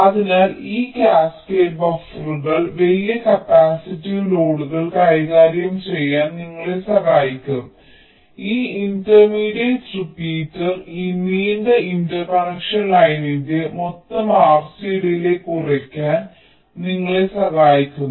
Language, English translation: Malayalam, so these cascaded buffers will help you in tackling the large capacitive loads and this intermediate repeaters help you in reducing the total r c delay of this long interconnection line, because this can be a long interconnect